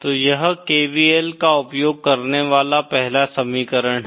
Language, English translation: Hindi, So this is the 1st equation using KVL